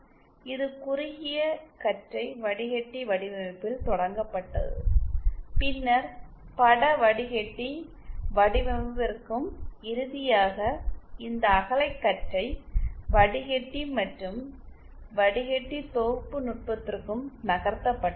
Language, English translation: Tamil, It was started with narrow band filter design then moved on to image filter design and finally to these broad band and filter synthesis technique